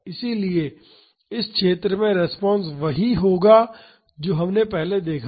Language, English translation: Hindi, So, the response in this zone will be equal to what we saw earlier